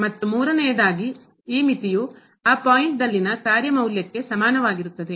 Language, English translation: Kannada, And the third one that this limit is equal to the function value at that point